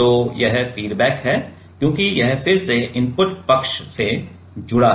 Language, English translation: Hindi, So, that is feedback because it is again connected to the input side